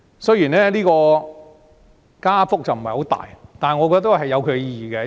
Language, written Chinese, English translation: Cantonese, 雖然加幅不大，但我認為有其意義。, I think the increases insignificant though are relevant